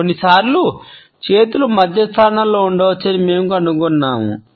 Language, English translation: Telugu, Sometimes we find that the hands can be clenched in the center position